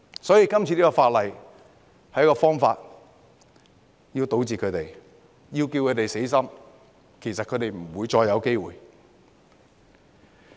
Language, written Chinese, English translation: Cantonese, 所以，《條例草案》是一個堵截他們的方法，讓他們死心，讓他們不會再有機會。, As such the Bill is a way to stop them so that they will give up and there will never be another chance